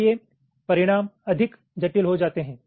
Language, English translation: Hindi, ok, so result become more complex